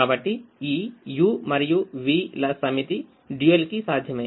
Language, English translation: Telugu, so this set of u's and v's are feasible to the dual